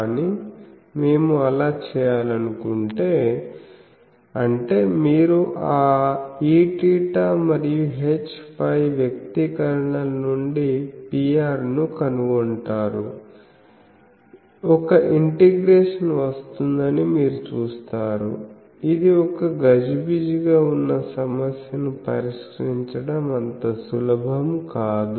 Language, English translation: Telugu, But, if we want to do that; that means you find the P r from those E theta H phi expressions, you will see that there will be an integration coming which is not so easy to solve which a cumbersome thing